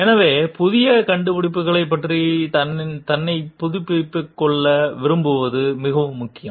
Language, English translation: Tamil, So, it is very important to like keep oneself updated about the new findings